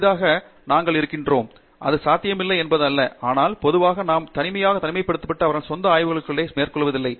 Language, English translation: Tamil, Rarely have we, I mean it is not that it is impossible but, in general we donÕt have people who are completely isolated and then doing research on their own